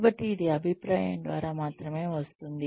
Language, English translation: Telugu, And, so this only comes through, feedback